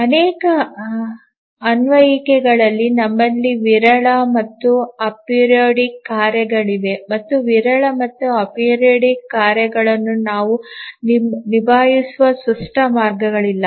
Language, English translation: Kannada, Also, in many applications we have sporadic and ap periodic tasks and there is no clear way in which we can handle the sporadic and apiridic tasks